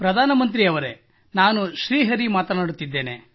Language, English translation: Kannada, Prime Minister sir, I am Shri Hari speaking